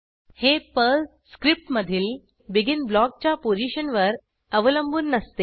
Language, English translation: Marathi, This is irrespective of the location of the BEGIN block inside PERL script